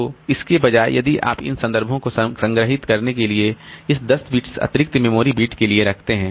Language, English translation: Hindi, So instead of that, if you put a 10 bits for this additional memory to store the, these references